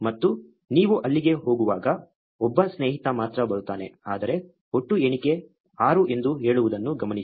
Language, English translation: Kannada, And there you go only one friend comes up, but notice that the total count says 6